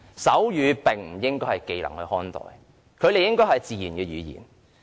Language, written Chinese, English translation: Cantonese, 手語不應被視為技能，而是自然語言。, Sign language should not be perceived as a skill . Instead it is a natural language